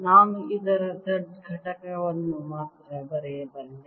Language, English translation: Kannada, i can write only the z component of this